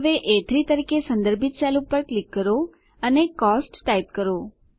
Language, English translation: Gujarati, Click on the cell referenced as A3 and typeCOST